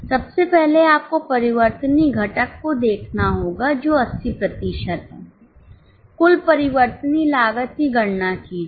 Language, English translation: Hindi, First of all you will have to look at the variable component which is 80%